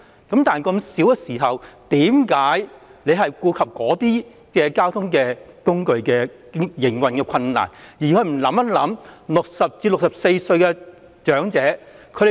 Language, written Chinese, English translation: Cantonese, 既然如此，為何局長要顧及該等交通工具的營運困難，而不考慮60歲至64歲長者的需要呢？, In that case why should the Secretary cater for the operational difficulties faced by those transport modes rather than taking account of the needs of elderly people aged 60 to 64?